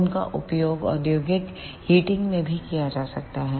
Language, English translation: Hindi, They can also be used in industrial heating